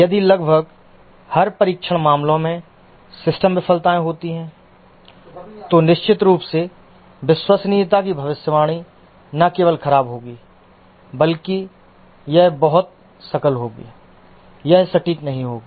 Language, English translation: Hindi, If there are system failures occurring in almost every test cases, then of course the prediction of reliability will not only be poor but it will be very gross, don't be accurate